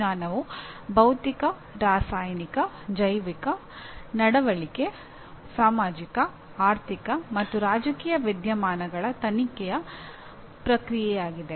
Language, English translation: Kannada, Here science is a process of investigation of physical, chemical, biological, behavioral, social, economic and political phenomena